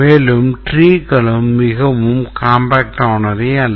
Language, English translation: Tamil, And also the trees are not very compact